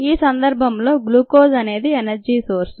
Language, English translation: Telugu, the ah, glucose itself is the energy source